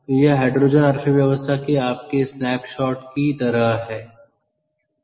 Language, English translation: Hindi, lets look at the history of hydrogen economy